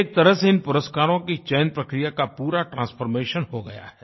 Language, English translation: Hindi, In a way, the selection of these awards has been transformed completely